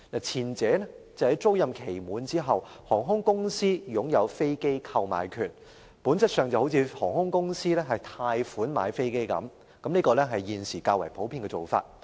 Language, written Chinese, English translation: Cantonese, 前者是在飛機租賃期屆滿後，航空公司便擁有飛機購買權，本質上就像由航空公司以分期付款方式購買飛機般，這是現時較普遍的做法。, In the case of a finance lease the lessee will obtain ownership of the aircraft upon a successful offer to buy the aircraft at the end of the lease term . It is in essence like buying an aircraft on hire purchase and is more popular among aircraft lessors